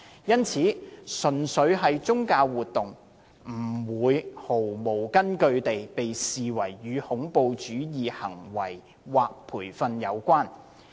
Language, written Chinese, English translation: Cantonese, 因此，純粹的宗教活動，不會毫無根據地被視為與恐怖主義行為或培訓有關。, Thus purely religious activities would not be groundlessly regarded as related to terrorist act or terrorist training